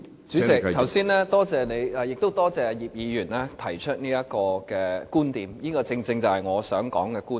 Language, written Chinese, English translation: Cantonese, 主席，剛才多謝你，亦多謝葉議員提出這觀點，這正正是我想說的觀點。, President thanks for your ruling just now . And I also wish to thank Mr IP for raising this viewpoint . It is precisely the viewpoint that I want to discuss